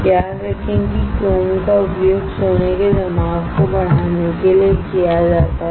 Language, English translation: Hindi, Remember chrome is used to improve the addition of gold right